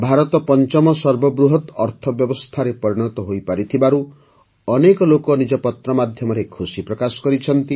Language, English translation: Odia, Many people wrote letters expressing joy on India becoming the 5th largest economy